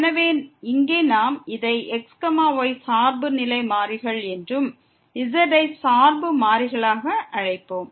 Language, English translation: Tamil, So, here we will call this as dependent independent variables and as dependent variable